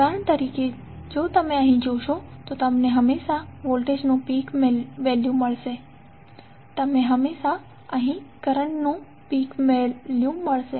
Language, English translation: Gujarati, As for example if you see here, you will always get peak value of voltage and you will always get peak value of current